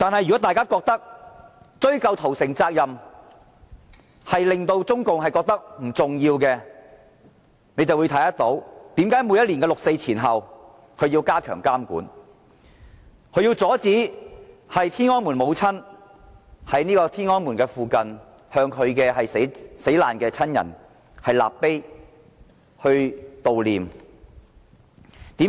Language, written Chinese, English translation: Cantonese, 如果大家覺得我們追究屠城責任，對中國而言並不重要，且看看為何每年六四前後，中共政權要加強監管，要阻止天安門母親在天安門附近為其死難親人立碑悼念。, If people think that CPC is not concerned about our act of ascertaining responsibility for the massacre it would not step up control around 4 June each year and would not ban Tiananmen Mothers from erecting a monument in the vicinity of Tiananmen to commemorate their beloved ones